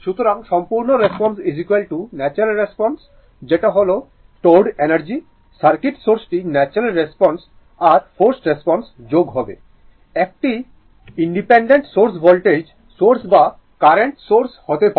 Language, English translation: Bengali, So, complete response is equal to natural response that is stored energy, that is your source the circuit that is the natural response we got plus forced, that is independent source may be voltage source or current source independent source, right